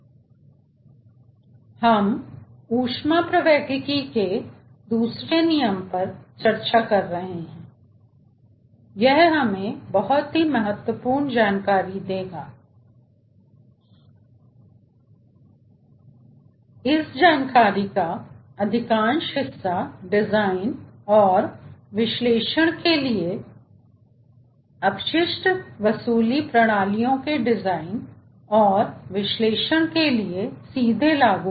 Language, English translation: Hindi, so lets say we are discussing second law of thermodynamics and it will give us many important information and most of this information will be directly applicable for the design and analysis of, for the design and analysis of wasted recovery system